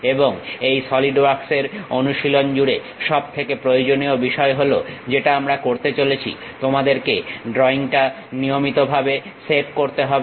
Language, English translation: Bengali, And the most important thing throughout this Solidworks practice what we are going to do you have to regularly save the drawing